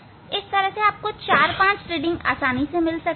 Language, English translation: Hindi, this way you can take four five reading